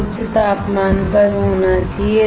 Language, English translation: Hindi, It should be at high temperature